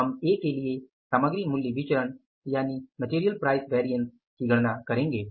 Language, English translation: Hindi, We will calculate the material price variance MPV for A will be how much